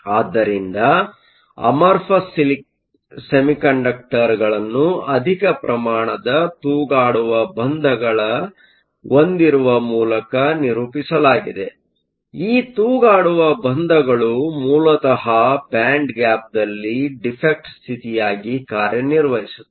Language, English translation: Kannada, So, amorphous materials are characterized by having a large density of dangling bonds; in these dangling bonds, basically act as defect states in the band gap